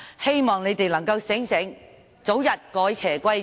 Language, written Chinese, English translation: Cantonese, 希望他們能夠清醒過來，早日改邪歸正。, I hope they will become clear - headed and turn over a new leaf as soon as possible